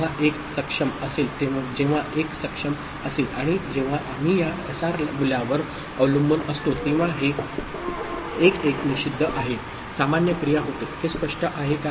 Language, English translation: Marathi, And when enable is 1, when enable is 1 and that time depending on whatever we is this SR value this 1 1 is forbidden of course, the normal action takes place; is it clear